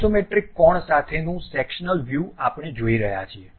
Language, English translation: Gujarati, The sectional view with isometric angle we Isometric view we are seeing